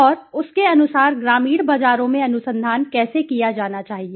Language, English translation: Hindi, And accordingly how should the research be conducted in the rural markets